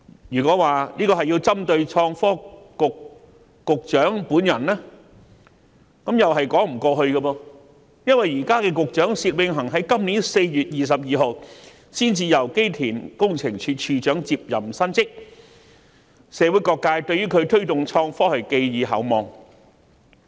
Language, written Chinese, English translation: Cantonese, 若說這是針對創新及科技局局長本人，亦是說不通的，因為現時的薛永恒局長原本任職機電工程署署長，他在今年4月22日才履新，社會各界對他推動創科發展均寄予厚望。, It is also unreasonable if his amendment is said to be targeted at the Secretary for Innovation and Technology personally since the incumbent Secretary Alfred SIT who held the post of Director of Electrical and Mechanical Services originally has only taken up his new position on 22 April this year . All sectors of society have high expectations of him on promoting the development of IT